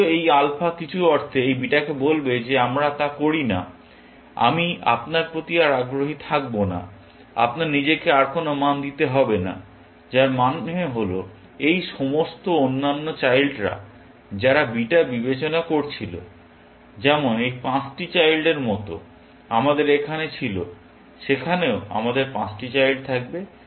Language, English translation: Bengali, Though this alpha, in some sense, will tell this beta that we do not, I would not be interested in you any more; that you do not need to value it yourself any further; which means all these other children that beta was considering, like this five children we had here; there also, we would have five children